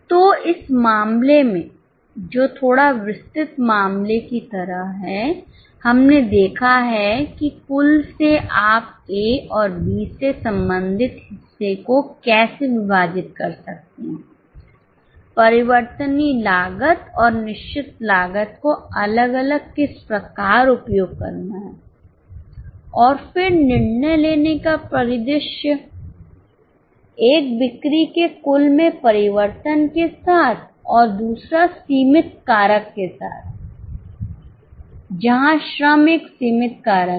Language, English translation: Hindi, So in this case which like a little detailed case, we have seen how from the total you can break down the portion related to A and B, how separately applied for VC and FC, and then a decision making scenario, one with a total change of sales, other with a limiting factor where labour is a limiting factor